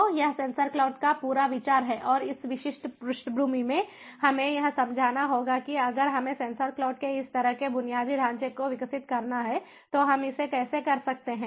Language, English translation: Hindi, so this is the whole idea of sensor cloud and in this particular back drop, we have to understand that we, if we have to develop, if we have to develop this kind of infrastructure of sensor cloud, how can we do it